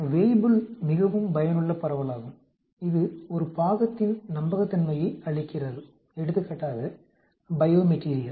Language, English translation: Tamil, Weibull is a very useful distribution, it gives in reliability of a part, bio material for example